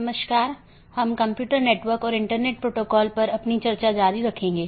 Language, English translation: Hindi, Hello, we will be continuing our discussion on Computer Networks and Internet Protocols